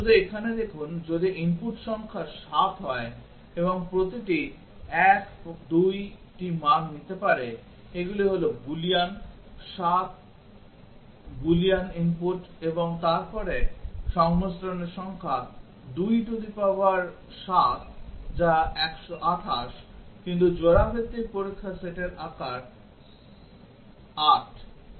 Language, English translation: Bengali, Just see here, if the number of inputs is 7 and each 1 can take 2 values these are Boolean, 7 Boolean inputs then the number of combinations is 27 which is 128, but the size of the pair wise test set is 8